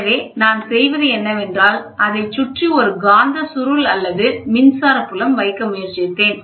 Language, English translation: Tamil, So, what I do is, I tried to put a magnetic coil around it or an electric field, and make sure that they are focused